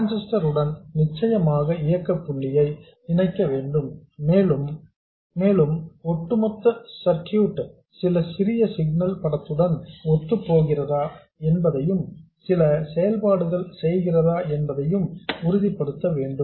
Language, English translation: Tamil, We have to set up a certain operating point for the transistor and we have to make sure that the overall circuit conforms to some small signal picture, that is it performs some function